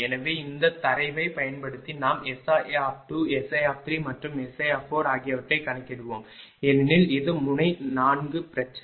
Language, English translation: Tamil, So, using this data we will calculate S I 2, S I 3, and S I 4 because it is a 4 node problem